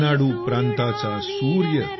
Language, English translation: Marathi, The Sun of Renadu State,